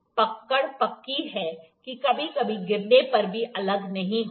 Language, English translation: Hindi, The grip is solid that even sometimes when it falls, it does not get separate